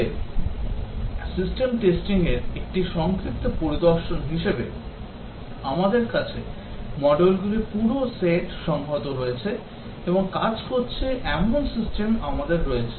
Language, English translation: Bengali, But as a brief overview in the system testing we have the entire set of modules integrated and we have the system that is working